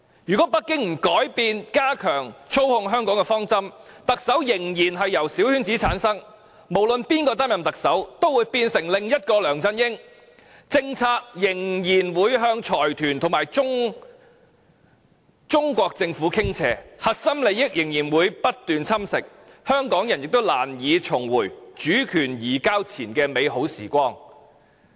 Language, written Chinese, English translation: Cantonese, 如果北京不改變加強操控香港的方針，特首仍然由小圈子產生，無論由誰擔任特首，都會變成另一個梁振英，政策仍然會向財團和中國政府傾斜，核心價值仍會被不斷侵蝕，香港人亦難以重回主權移交前的美好時光。, If Beijing sticks to tightening control over Hong Kong as its principle and insists to have the Chief Executive returned by small - circle election whoever assumes the position of Chief Executive will turn into another LEUNG Chun - ying formulating policies which lean towards business consortia and the Chinese Government and allowing the constant erosion of our core values . Then Hong Kong people cannot reinstate the good times we have enjoyed before the handover